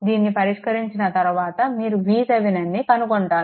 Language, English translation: Telugu, After after solving this, you find out V Thevenin